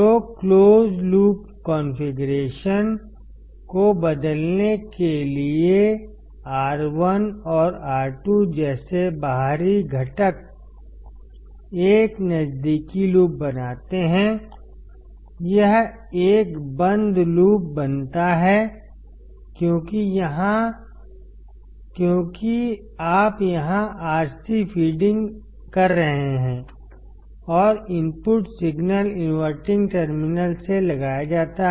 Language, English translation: Hindi, So, for the inverting close loop configuration, external components such as R1 and R2 form a close loop; This forms a closed loop because you are feeding Rc here and the input signal is applied from the inverting terminal